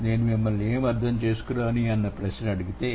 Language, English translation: Telugu, If I ask you the question, what have you understood